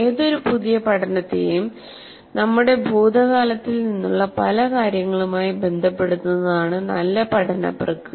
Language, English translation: Malayalam, So the process of good learning is to associate any new learning to many things from our past